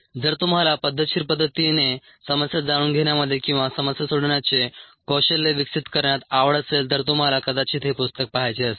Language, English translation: Marathi, if you are interested in knowing ah or in developing the problem solving skill in a systematic fashion, you may want to look at this book